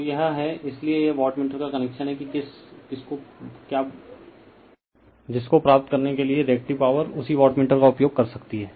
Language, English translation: Hindi, So, this is the that is why this is the connection of the wattmeter for getting your what you call , that your , Reactive Power same wattmeter you can use